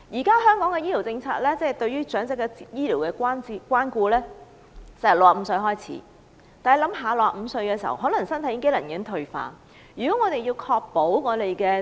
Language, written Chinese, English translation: Cantonese, 根據香港現時的醫療政策，對長者的醫療關顧由65歲開始，但65歲的人士身體機能可能已經退化。, Under the current health care policy in Hong Kong elderly people may enjoy health care benefits from the age of 65 but the physical function of people aged 65 may have already deteriorated